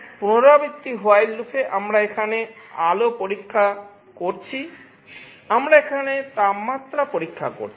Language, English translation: Bengali, In a repetitive while loop we are checking the light here, we are checking the temperature here